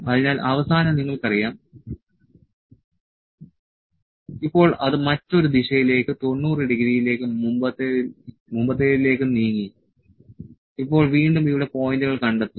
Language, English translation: Malayalam, So, you know at the end, now it has move to the other direction 90 degree and previous now again locating the points here